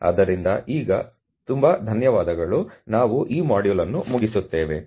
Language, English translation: Kannada, So, as of now thank you very much, we close this module